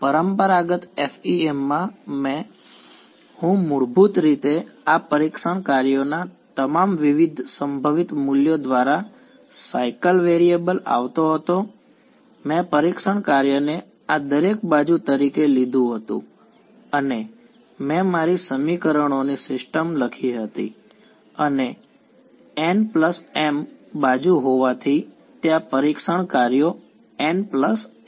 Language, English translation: Gujarati, In the traditional FEM, I basically cycled through all different possible values of these testing functions, I took the testing function to be each one of these edges and I wrote down my system of equations and since there are n plus m edges there are n plus m testing functions